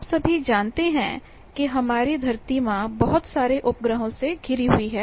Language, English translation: Hindi, All of you know that our mother earth is surrounded by so many satellites